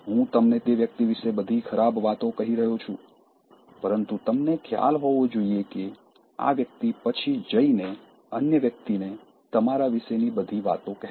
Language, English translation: Gujarati, I am saying all bad things about that person to you, but you should realize that, this person will also go and tell the other person all bad things about you to him